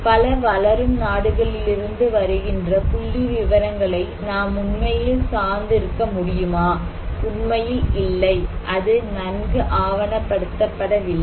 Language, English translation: Tamil, No, can we really depend on the statistics that we are coming from many developing countries; basically, no, it is not well documented